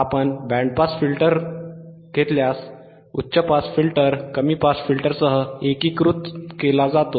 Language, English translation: Marathi, So, the band stop filter is formed by combination of low pass and high pass filter